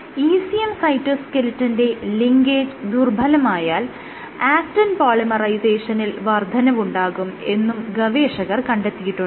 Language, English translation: Malayalam, So, of integrin sorry ECM cytoskeleton linkage led to increased actin polymerization